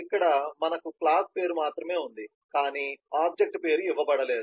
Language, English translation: Telugu, here we just have the class name, but there is no object name given